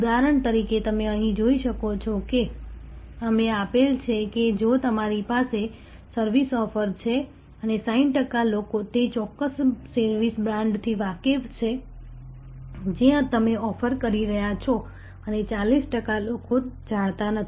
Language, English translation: Gujarati, For example, you can see here we have given, that if you have a service offering and 60 percent people are aware of that particular service brand that you are offering and 40 percent are not aware